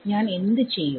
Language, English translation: Malayalam, What do I do